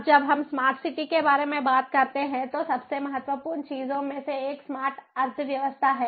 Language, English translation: Hindi, now, when a when we talk about smart city, one of the most important things is smart economy